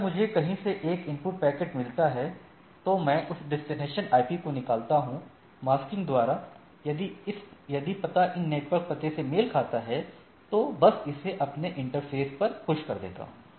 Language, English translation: Hindi, So, I get a get a input packet from somewhere then, I extract that particular destination IP, do a masking, if the address matches with these network addresses, just put it push it to their interface